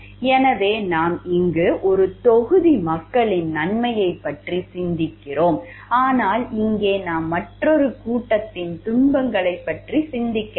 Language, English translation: Tamil, So, we are here thinking of the benefit of a set of people, but here we are not thinking of the sufferings of another set of people